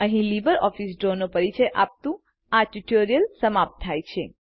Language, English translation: Gujarati, This brings us to the end of this tutorial on Introduction to LibreOffice Draw